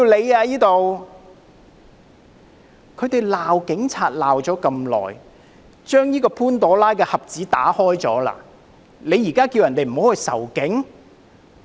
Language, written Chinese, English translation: Cantonese, "他們過去不斷地罵警察，打開了這個潘朵拉盒子，現在才叫人不要仇警？, from the protesters . After upbraiding the Police incessantly in the past and opening a Pandoras box they now urge people not to hate the Police?